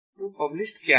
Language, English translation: Hindi, so what is published